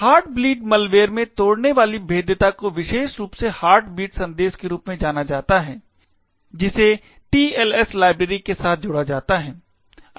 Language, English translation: Hindi, The vulnerability that was exploited in the heartbeat malware was specifically in something known as the heartbeat message that is accompanied of the TLS library